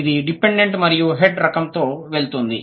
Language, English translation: Telugu, It goes with the dependent and head type